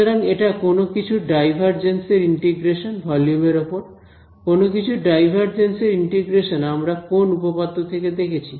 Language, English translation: Bengali, So, its integration over a volume of the divergence of something; divergence of something being integrated we just saw by which theorem